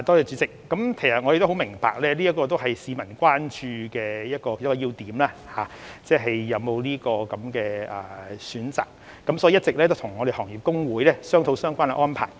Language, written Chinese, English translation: Cantonese, 主席，我們十分明白市民關注是否有權選擇個人信貸資料服務機構，所以我們一直與行業公會商討相關安排。, President we understand very well that the public are concerned whether they have the right to choose their preferred CRAs . Therefore we have long been discussing the relevant arrangement with the Industry Associations